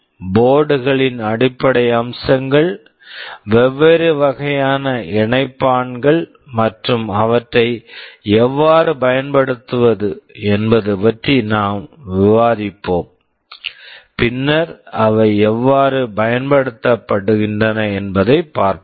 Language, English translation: Tamil, We shall be discussing the basic features of the boards, the different kind of connectors and how to use them, and subsequently we shall be seeing actually how they are put to use